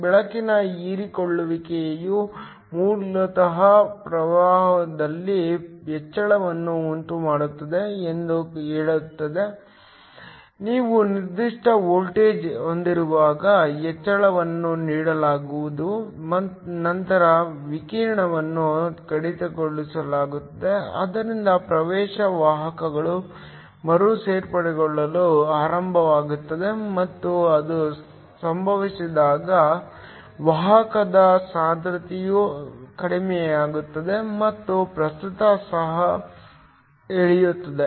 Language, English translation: Kannada, It says the absorption of light basically causes an increase in current, the increases is given when you have a particular voltage then the radiation is cut off, so that the access carriers start to recombine and when that happens the carrier concentration drops, and the current also drops